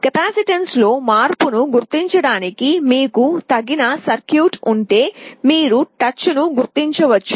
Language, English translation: Telugu, And if you have an appropriate circuitry to detect the change in capacitance, you can detect the touch